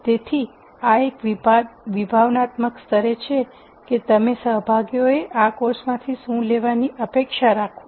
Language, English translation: Gujarati, So, these are at a conceptual level what you would expect the participants to take out of this course